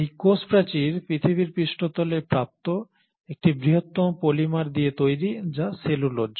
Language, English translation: Bengali, And this cell wall is made up of one of the largest polymers available on the surface of the earth which is the cellulose